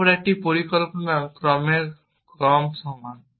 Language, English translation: Bengali, Then a plan is equal to sequence of actions